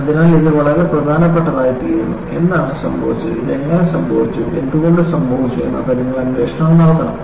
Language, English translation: Malayalam, So, it becomes a very important and you have to go investigate, what happened, how this happened, why it happened